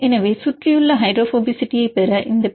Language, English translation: Tamil, How to get this surrounding hydrophobicity